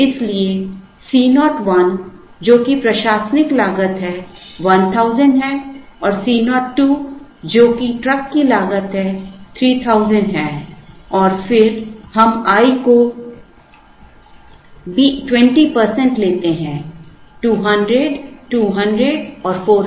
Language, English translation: Hindi, So, C 0 1 which is the admin cost is 1000 and C 0 2 which is the truck cost is 3000 and then we take that, i is 20 percent, 200, 200 and 400